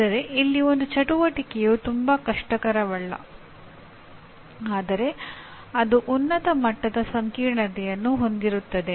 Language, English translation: Kannada, Whereas an activity here may be simple not that very difficult but it has a higher level complexity